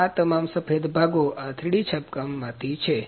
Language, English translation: Gujarati, All these white components are from these 3D printing